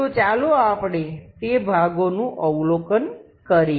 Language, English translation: Gujarati, So, let us observe those portions